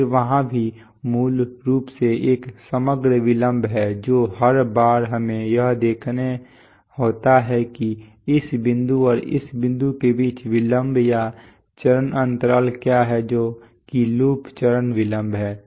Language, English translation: Hindi, Then there are also the, there is an overall delay basically what every time we have to see that what is the delay or phase lag between this point and this point that is the loop phase delay